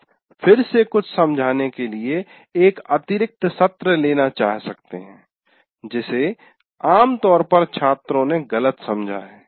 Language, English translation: Hindi, So you may want to take an extra session to re explain something that where people seem to have generally misunderstood